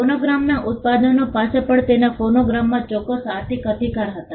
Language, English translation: Gujarati, The producers of phonograms also had certain economic rights in their phonograms